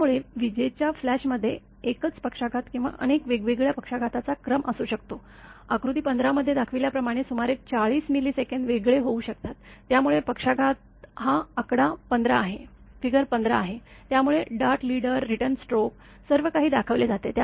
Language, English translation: Marathi, Therefore, a lightning flash may have a single stroke or a sequence of several discrete stroke; as many as 40 it can happen, separated by about 40 millisecond as shown in figure 15; so this is actually figure 15; so dart leader, return stroke; everything is shown